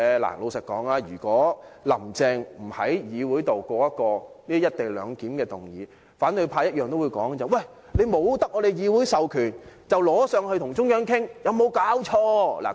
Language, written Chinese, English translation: Cantonese, 老實說，如果"林鄭"不提出在立法會通過"一地兩檢"的議案，反對派也會說她未得到議會授權，便呈請中央，有沒有搞錯？, Frankly speaking if Carrie LAM did not move the motion on the co - location arrangement for endorsement in the Legislative Council opposition Members would surely say that she submitted the proposal to the Central Authorities without obtaining the authorization from the Legislative Council and condemned her for her outrageous act